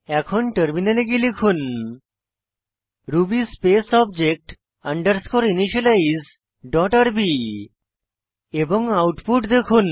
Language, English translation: Bengali, Switch to the terminal and type ruby space object underscore initialize dot rb and see the output